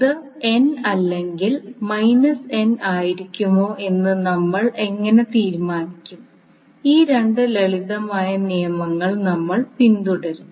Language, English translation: Malayalam, How we will decide whether it will be n or minus n, we will follow these 2 simple rules